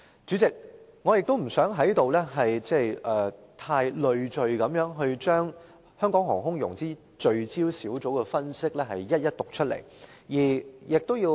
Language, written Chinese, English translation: Cantonese, 主席，我不想在這裏把推動香港航空融資聚焦小組所作分析的內容逐一讀出。, President I am not going to read out item - by - item the contents of the analysis conducted by the Focus Group on Promoting Aerospace Financing in Hong Kong here